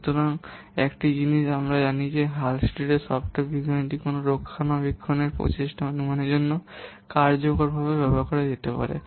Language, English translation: Bengali, So one thing we have known that Hullstead software science can be used effectively for estimating what maintenance effort